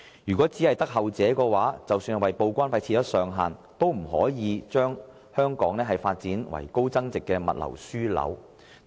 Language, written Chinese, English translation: Cantonese, 如果是後者的話，則即使當局就報關費設上限，也不可能因此令香港發展成為高增值物流樞紐。, If the latter is true then the authorities move of capping TDEC charges will not be conducive to turning Hong Kong into a high value - added logistics hub